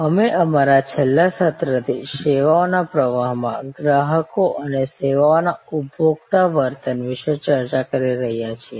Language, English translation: Gujarati, We are discussing since our last session about consumers in a services flow and the services consumer behavior